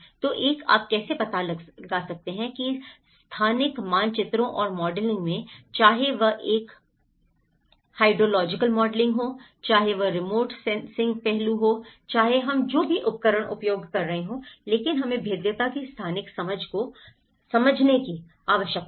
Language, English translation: Hindi, So, one, how you can address that in the spatial mapping and the modelling, whether it is a hydrological modelling, whether it is a remote sensing aspects so, whatever the tools we are using but we need to understand the spatial understanding of the vulnerability